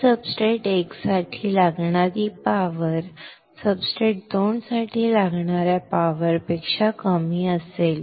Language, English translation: Marathi, So, power required for substrate 1 will be less than power required to substrate 2